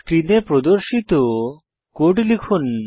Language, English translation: Bengali, Type the code as displayed on the screen